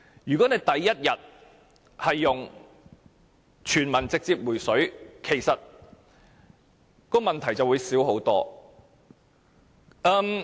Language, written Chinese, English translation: Cantonese, 如果政府採用"全民直接回水"的方法處理，問題便會少得多。, The problem will be minimized if the Government instead adopts the universal direct cash handout approach